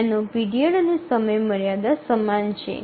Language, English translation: Gujarati, Its period and deadline are the same